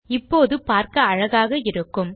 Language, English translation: Tamil, And this will look much better now